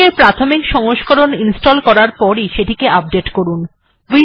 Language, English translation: Bengali, As soon as installing the basic miktex, update it